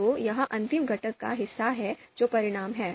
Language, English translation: Hindi, So that is part of the last component, outcomes